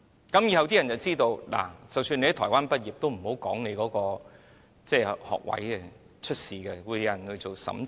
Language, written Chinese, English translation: Cantonese, 於是，以後大家便知道，即使在台灣畢業也不要說明，這會出事，因有人會進行審查。, We therefore realize that there should be no mention of the fact that someone graduated in Taiwan because checking and verification will be conducted and this will cause trouble